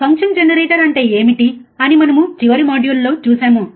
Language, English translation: Telugu, We have seen in the last modules what is function generator, right